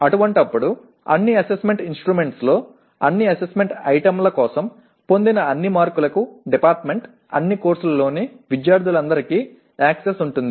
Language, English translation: Telugu, In such a case, the department will have access to all the marks obtained for all Assessment Items in all Assessment Instruments by all students in all courses